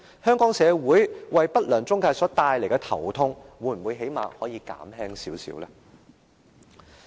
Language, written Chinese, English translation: Cantonese, 不良中介為香港社會帶來的頭痛會否減輕一些？, Would the headache brought by intermediaries to the Hong Kong community has been alleviated in some measure?